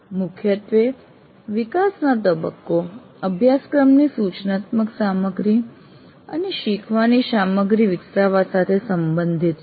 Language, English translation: Gujarati, Essentially the development phase is concerned with developing instructional material and learning material as of the course